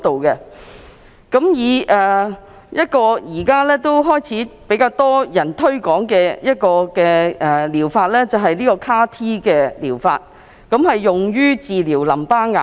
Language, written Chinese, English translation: Cantonese, 一個現在開始較多人推廣的療法是 CAR-T 療法，用於治療淋巴癌。, CAR T - Cell therapies which have become increasingly popular are used for curing lymphoma